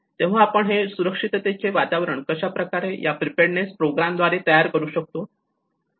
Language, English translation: Marathi, So how we can build this culture of safety through the preparedness programs